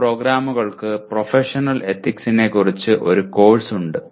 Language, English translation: Malayalam, Some programs have a course on Professional Ethics